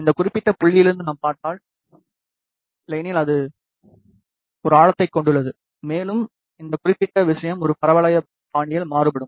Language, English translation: Tamil, If we look from this particular point, but otherwise it has a depth, and this particular thing varies in a parabolic fashion